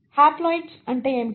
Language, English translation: Telugu, Now, what is haploids